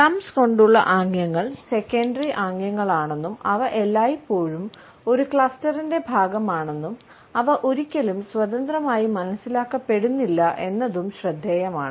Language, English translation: Malayalam, It is also interesting to note that thumb gestures are secondary gestures and they are always a part of a cluster, they are never independently read